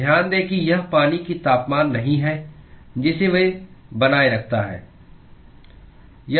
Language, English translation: Hindi, So, note that it is not the temperature of the water that it maintains